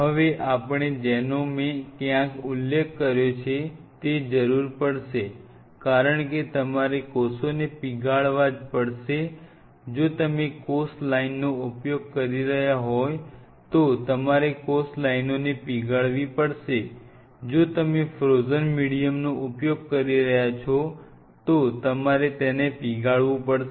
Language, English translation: Gujarati, Now we needed something what I have an mentioned you will be needing somewhere, because you have to thaw the cells if you are using cell lines you have to thaw the cell lines, if you are using some frozen medium you have to thaw it